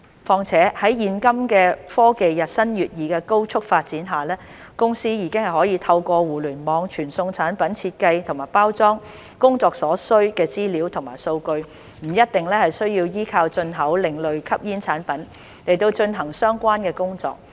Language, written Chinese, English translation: Cantonese, 況且，在現今科技日新月異的高速發展下，公司已可透過互聯網傳送產品設計及包裝工作所需的資料及數據，不一定需要依靠進口另類吸煙產品來進行相關的工作。, Moreover with the rapid development of technology nowadays companies can transmit the information and data required for product design and packaging via the Internet and hence do not necessarily need to import ASPs to carry out such work